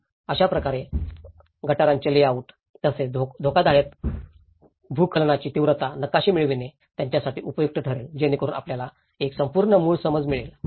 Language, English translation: Marathi, So, in that way, it was helpful for them to get the drain layouts and as well the hazard landslide intensity maps, so that will give you an overall original understanding as well